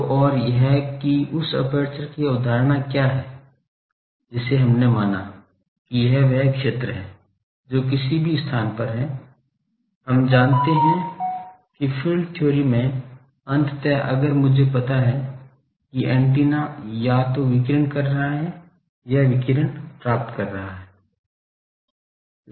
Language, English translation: Hindi, So, and that what is the concept of that aperture we considered, that it is the area which, because any place we know in the field theory, ultimately if I know the antenna is either radiating or receiving